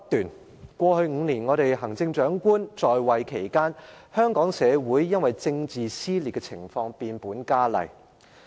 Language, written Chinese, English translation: Cantonese, 梁振英在過去5年出任行政長官期間，政治撕裂的情況變本加厲。, Political feuds have worsened incessantly over the past five years with LEUNG Chun - ying as the Chief Executive